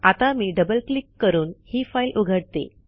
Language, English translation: Marathi, Let me open this file by double clicking on it